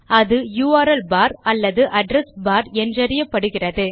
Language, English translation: Tamil, It is called the URL bar or Address bar